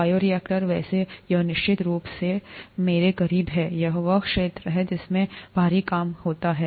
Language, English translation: Hindi, Bioreactor, by the way, it is it is certainly closer to me, this is the area in which I used to work heavily